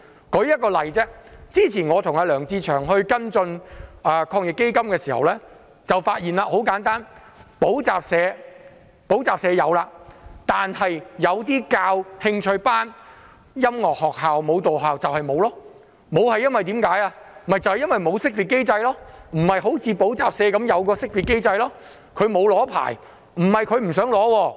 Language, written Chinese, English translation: Cantonese, 我舉一個例子，我與梁志祥議員之前跟進防疫抗疫基金的事宜時，發現補習社獲得資助，但教授興趣班、音樂學校和舞蹈學校則未能獲得資助，因為這些行業不像補習社般有識別機制，他們沒有領取牌照。, Let me cite an example . In following up matters related to the Anti - epidemic Fund Mr LEUNG Che - cheung and I have found that academic tutoring schools are eligible for assistance but interest classes music schools and dancing schools are not . Unlike academic tutoring schools the latter are not identified under the system due to absence of a licence